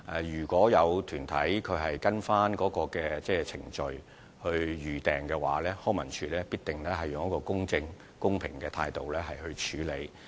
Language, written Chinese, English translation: Cantonese, 如果有團體按照程序預訂場地，康文署必定會以公正、公平的態度來處理。, If an organization submits an application for using a venue in accordance with the procedure LCSD will definitely process the application in an impartial and fair manner